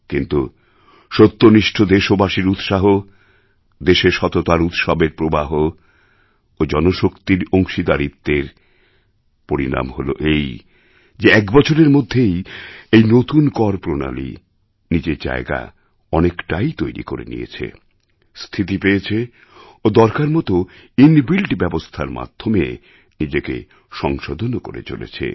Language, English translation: Bengali, However within a year, the enthusiasm of the honest people of this nation, the celebration of integrity in the country and the participation of people resulted in this new tax system managing to create a space for itself, has achieved stability and according to the need, it will bring reform through its inbuilt arrangement